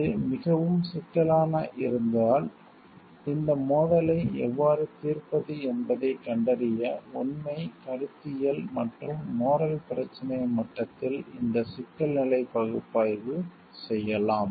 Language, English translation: Tamil, If it is more complex and we see like we can do this issue level analysis at factual, conceptual and moral issue level to find out how to solve this conflict